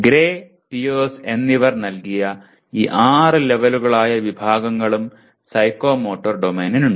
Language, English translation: Malayalam, And the Psychomotor Domain has categories again as given by Gray and Pierce these six levels